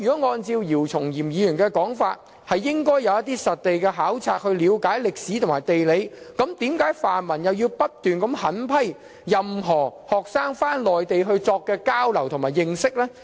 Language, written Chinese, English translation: Cantonese, 按照姚松炎議員的說法，學生應該進行一些實地考察，了解歷史和地理，那為何泛民議員又不斷狠批學生返回內地進行交流的活動呢？, According to Dr YIU Chung - yim students should conduct field studies to understand history and geography . In that case why do pan - democratic Members continuously berate students who return to the Mainland and engage in exchange activities?